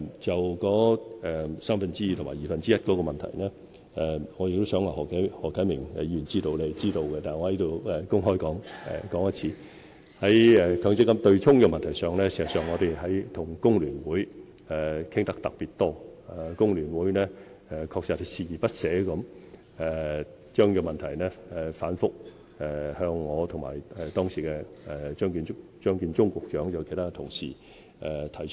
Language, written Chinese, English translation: Cantonese, 就三分之二及二分之一的問題，我相信何啟明議員是知道的，但我仍要公開說明，在強積金對沖問題上，事實上我們與工聯會談得特別多，工聯會確實鍥而不捨將問題反覆向我、當時的張建宗局長及其他同事提出。, When it comes to the two - thirds basis and the one - half basis I believe that Mr HO Kai - ming is in the know . Still I have to say this in public . In fact we have had a particularly large number of discussions with FTU on matters relating to the MPF offsetting mechanism